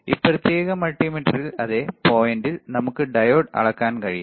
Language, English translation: Malayalam, And in this particular multimeter, same point we can measure diode all right